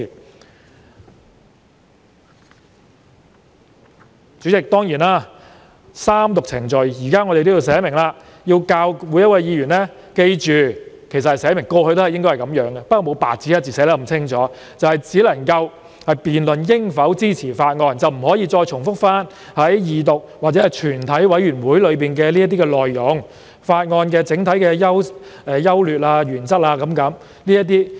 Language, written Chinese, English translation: Cantonese, 代理主席，就三讀程序，我們現在列明每位議員——過去其實亦應如此，只是沒有白紙黑字清楚列明而已——只可辯論應否支持法案，不可以重複二讀或全體委員會審議階段時的辯論內容、法案的整體優劣及原則。, Deputy President speaking of the procedure for Third Reading it is now specified that Members―actually this has been the requirement all along only that it has not been expressly or clearly set out―shall only debate the support or otherwise for the bill involved and shall not repeat any debate contents in Second Reading or the Committee stage or the general merits and principles of the bill